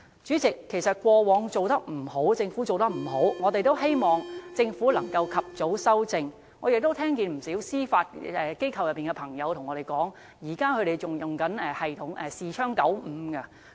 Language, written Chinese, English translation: Cantonese, 主席，政府過往做得不好的地方，我們希望它可以及早修正，我亦聽到不少在司法機構工作的朋友告訴我，指他們現時仍然在使用視窗95作業系統。, President we hope the Government can rectify timely its previous inadequacies . I have heard quite many people working in the Judiciary say that they are still using the Window 95 system